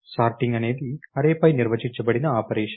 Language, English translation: Telugu, Shorting is an operation that is defined on the array